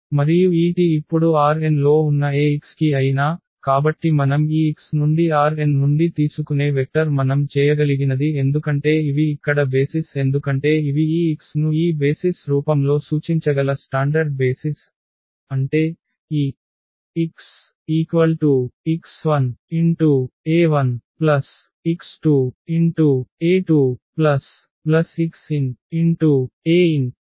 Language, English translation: Telugu, And this T is a for any x now in R n, so any vector we take from this x from R n what we can because these are the basis here these are the standard basis we can represent this x in the form of this basis; that means, this x can be represented as x 1 e 1